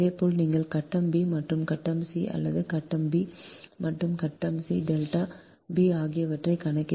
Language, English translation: Tamil, similarly, if you calculate for phase b and phase c right, phase b and phase c, delta b, b will be three sixty point eight angle two, seventeen point five, six